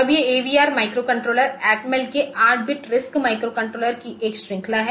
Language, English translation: Hindi, Now, these AVR microcontrollers they are a series of 8 bit RISC microcontrollers from Atmel